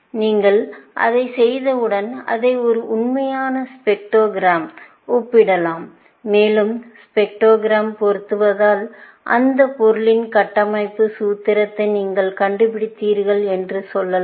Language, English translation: Tamil, Once you can do that, you can compare it with a real spectrogram of the material, and if the spectrogram matches, then you can say that you have found the structural formula for that material